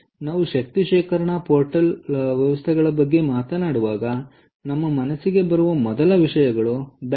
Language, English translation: Kannada, ok, when we talk about energy storage, portable systems, the first thing that come to our mind is battery